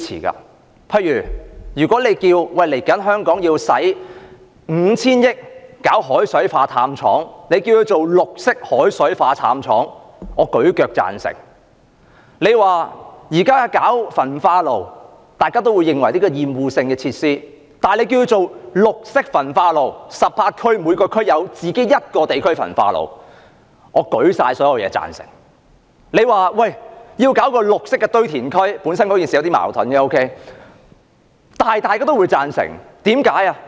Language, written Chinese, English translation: Cantonese, 例如政府說香港未來要花 5,000 億元興建海水化淡廠，稱之為"綠色海水化淡廠"，我舉腳贊成；假如政府說要興建焚化爐，雖然大家也會認為是厭惡性設施，但如果稱之為"綠色焚化爐"，在18區興建各自的焚化爐，我舉起所有東西來贊成；假如政府說要興建"綠色堆填區"——雖然事情本身有點矛盾——但大家也會贊成，為甚麼？, For instance if the Government says that Hong Kong has to spend 500 billion to construct a desalination plant in the future and call it a green desalination plant I will give it my full support . If the Government plans to construct incinerators though everyone would consider it an obnoxious facility I will give it my full support by all means if we call it a green incinerator and build one in each of the 18 districts . If the Government intends to construct a green landfill―albeit this is somewhat self - contradictory―everyone will also agree